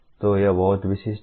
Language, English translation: Hindi, So it is very specific